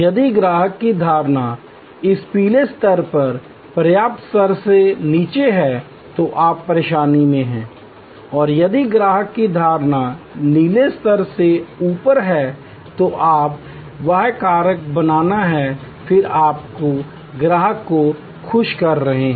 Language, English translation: Hindi, If the customer's perception is below this yellow level, the adequate level, then you are in trouble and if the customer's perception is above the blue level then you are creating wow factor, then you are creating customer delight